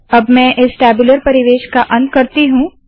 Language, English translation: Hindi, Let me end this tabular environment